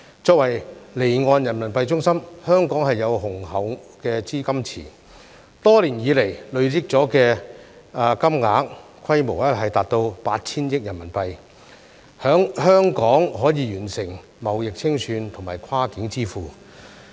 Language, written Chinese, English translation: Cantonese, 作為離岸人民幣中心，香港有雄厚資金池，多年以來累積的金額規模達到 8,000 億元人民幣，在香港可以完成貿易清算和跨境支付。, Being an offshore RMB centre Hong Kong has a strong liquidity pool which has accumulated RMB800 billion over the years . Trade settlement and cross - border payment can be completed in Hong Kong